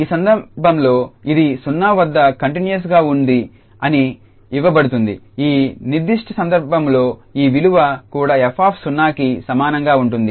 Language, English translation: Telugu, In this case it is given continuous at 0, also this f 0 will this value will be also equal to f 0 in this particular case